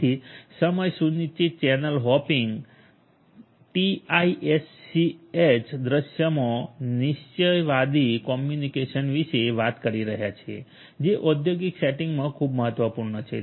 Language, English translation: Gujarati, So, in a time schedule channel hopping TiSCH scenario we are talking about deterministic communication which is very important in industrial settings